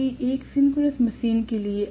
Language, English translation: Hindi, Whereas for a synchronous machine